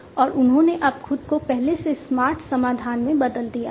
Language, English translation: Hindi, And they have now also transformed themselves into smarter solutions